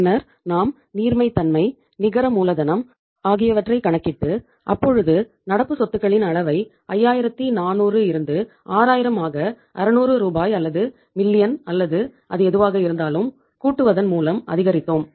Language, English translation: Tamil, Then we calculated the liquidity, net working capital when we jacked up the level of current assets from 5400 to 6000 by 600 Rs or million or whatever it is